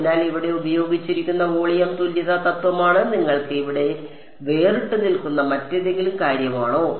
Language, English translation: Malayalam, So, it is the volume equivalence principle that is used over here any other thing that sort of stands out for you over here